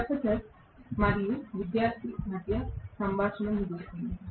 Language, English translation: Telugu, Conversation between professor and student ends